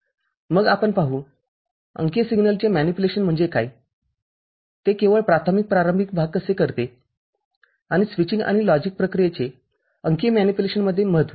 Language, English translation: Marathi, Then we shall see; what is manipulation of digital signal, how it is done the basic introductory part only, and importance of switching and logic operation in digital manipulation